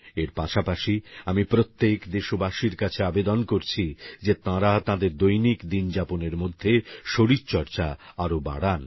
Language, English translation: Bengali, Also concomitantly, I appeal to all countrymen to promote more physical activity in their daily routine